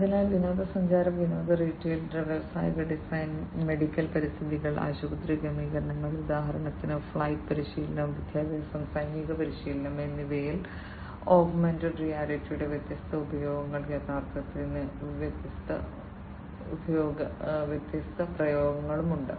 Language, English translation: Malayalam, So, different applications of augmented reality in tourism, entertainment, retail, industrial design, medical environments, hospital settings, for instance, flight training, educational, military training and so, on augmented reality; reality has different applications